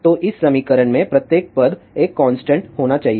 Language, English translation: Hindi, So, the each term in this equation must be a constant